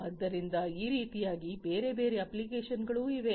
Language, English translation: Kannada, So, like this there are different other applications also